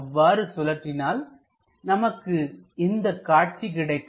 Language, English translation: Tamil, So, if we are rotating that, we get this view